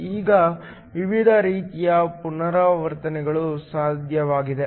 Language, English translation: Kannada, Now, there are different kinds of transitions that are possible